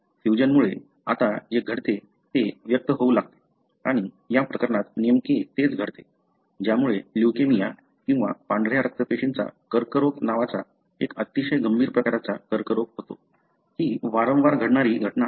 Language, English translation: Marathi, Because of the fusion, now what happens, it starts expressing and exactly that is what happens in this case, leading to a very very severe form of cancer called as leukemia or the white blood cell cancer, where this is a recurrent event